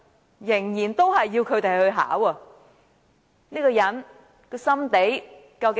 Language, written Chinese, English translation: Cantonese, 他仍然要小朋友考 TSA， 這個人的心腸究竟如何？, He still insists that TSA be retained for school children so what intention does he have?